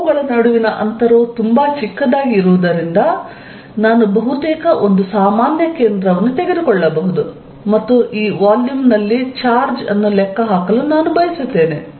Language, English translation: Kannada, Because, the distance between them is very small I can take almost a common centre and I want to calculate the charge in this volume